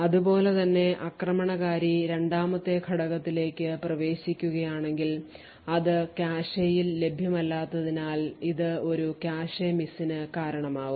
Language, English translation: Malayalam, Similarly if the attacker accesses the second element it would also result in a cache miss because it is not available in the cache